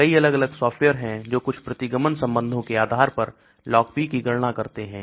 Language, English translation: Hindi, There are many different softwares, which calculate Log P based on some regression relationship